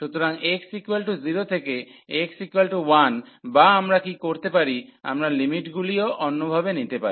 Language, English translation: Bengali, So, x is equal to 0 to x is equal to 1 or what we can do we can take the limits other way round as well